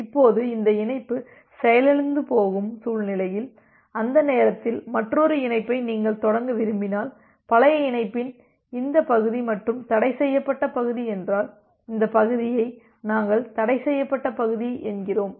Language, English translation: Tamil, Now, in a scenario when this connection is being crashed and you want to initialize another connection during that time, if this region of the old connection and the forbidden region, so this region we call as the forbidden region